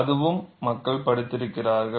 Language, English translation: Tamil, That is also people have studied